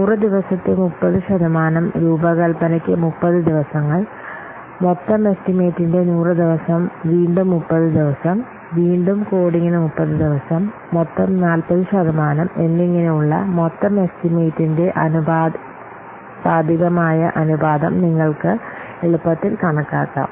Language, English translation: Malayalam, Then you can easily calculate the proportionate the proportionate of this what total estimate like 30 percent of 100 days, that is 30 days for design, again 30 percent of the total estimate 100 days again it is 30 days for coding and 40 percent of the total estimate that is 40 days for the testing